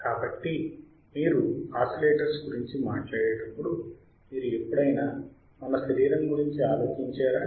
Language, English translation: Telugu, So, when you talk about oscillators have you ever thought about our body right